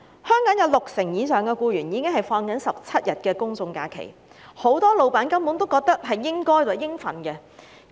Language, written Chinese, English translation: Cantonese, 香港有六成以上僱員享有17天公眾假期，很多老闆根本視之為理所當然。, Over 60 % of employees in Hong Kong are entitled to 17 days of general holidays which many employers have already taken for granted